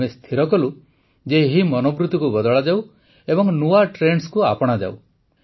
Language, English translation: Odia, We decided that this mindset has to be changed and new trends have to be adopted